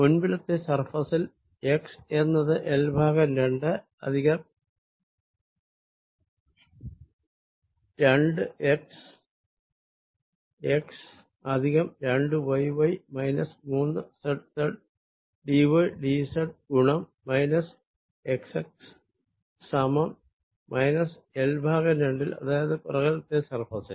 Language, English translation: Malayalam, for the front surface, where x is equal to l by two plus two x, x plus two y, y minus three, z, z, d, y, d, z times minus x at x equals minus l by two